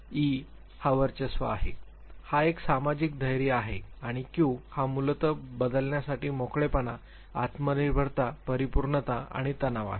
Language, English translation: Marathi, E is dominance, H is social boldness and Q are basically openness to change, self reliance, perfectionism and tension